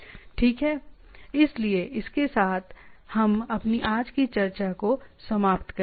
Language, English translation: Hindi, Okay, so with this let us conclude our today’s discussion